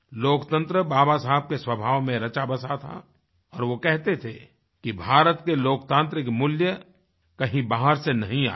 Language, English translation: Hindi, Democracy was embedded deep in Baba Saheb's nature and he used to say that India's democratic values have not been imported from outside